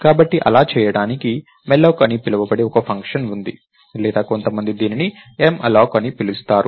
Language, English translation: Telugu, So, to do that there is a function called malloc or m alloc as some people would call it